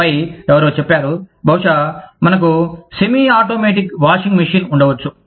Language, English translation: Telugu, And then, somebody said, maybe, we can have a semiautomatic washing machine